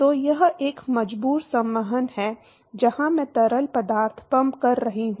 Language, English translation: Hindi, So, it is a forced convection where I am pumping the fluid